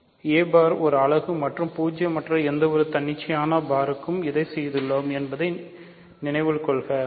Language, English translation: Tamil, So, a bar is a unit and remember we have done this for any arbitrary a bar which is non zero